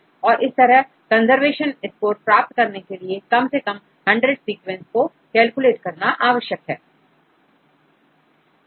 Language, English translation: Hindi, So, you should have at least 100 sequences for calculating the conservation score